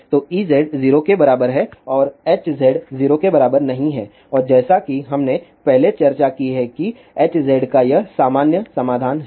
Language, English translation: Hindi, So, E z it is equal to 0 and Hz is not equal to 0 and as we have discussed earlier that the general solution for Hz is this one